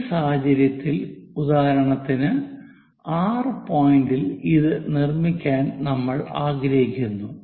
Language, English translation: Malayalam, In this case, we would like to construct, for example, at point R